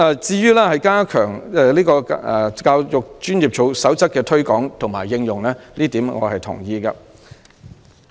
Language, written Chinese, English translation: Cantonese, 至於加強《香港教育專業守則》的推廣及應用，我對此是同意的。, As for stepping up the promotion and application of the Code for the Education Profession of Hong Kong I have no objection